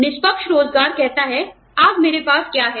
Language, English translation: Hindi, Fair employment says, today, what do i have in hand